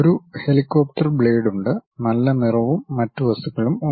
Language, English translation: Malayalam, There is a helicopter blades, there is a nice shade, and other materials